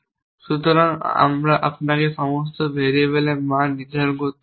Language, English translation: Bengali, So, you do not have to assign values to all variables